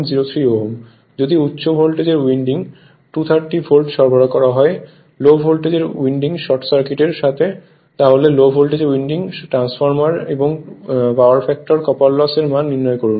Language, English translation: Bengali, If the high voltage winding is supplied at 230 volt with low voltage winding short circuited right, find the current in the low voltage winding, copper loss in the transformer and power factor